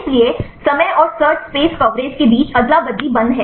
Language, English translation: Hindi, So, there is a trade off between time and search space coverage right